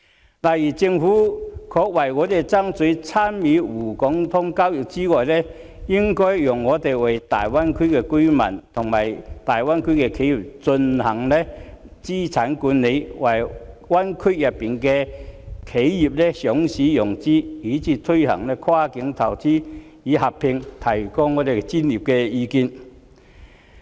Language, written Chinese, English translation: Cantonese, 舉例而言，政府除可為我們爭取參與港股通的交易之外，還應該讓我們為大灣區的居民和企業進行資產管理，為灣區內的企業上市融資，以至進行跨境投資及合併，提供專業的意見。, For example apart from lobbying support for our participation in trading through the Southbound Trading Link the Government should also work to enable us to provide professional advice on asset management for residents and enterprises in the Greater Bay Area listing and financing for enterprises in the Greater Bay Area and also cross - border investment and mergers